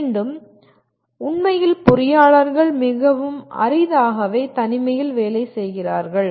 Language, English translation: Tamil, Again, coming to the first one, actually engineers very rarely work in isolation